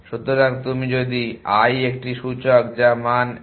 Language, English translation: Bengali, So, you if i is a index which is one of the value